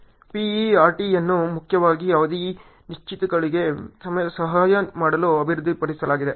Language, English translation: Kannada, PERT was developed mainly to assist in uncertainties in duration